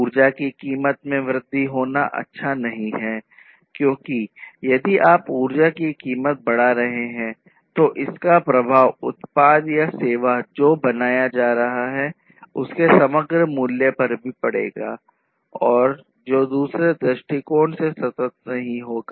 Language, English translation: Hindi, So, increasing the price of energy is not good because if you are increasing the price of energy then that will affect the overall price of the product or the service that is being created and that is not going to be sustainable over all from another perspective